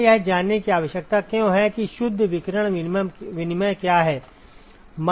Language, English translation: Hindi, Why do we need to know what is the net radiation exchange